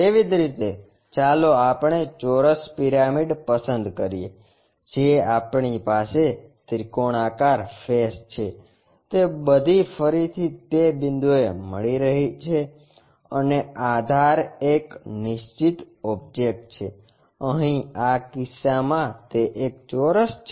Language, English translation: Gujarati, Similarly, let us pick square pyramid we have triangular faces all are again meeting at that point and the base is a fixed object, here in this case it is a square